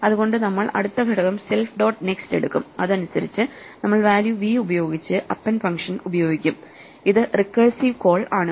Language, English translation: Malayalam, So, we go that next element self dot next and with respect to that next element we reapply the append function with the value v, this is the recursive call